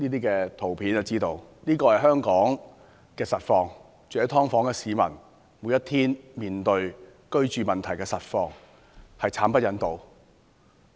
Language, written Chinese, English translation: Cantonese, 這就是香港的實況，就是住在"劏房"的市民，每天的居住實況，實在慘不忍睹。, This is the real life situation in Hong Kong . This is the daily living conditions faced by dwellers of subdivided units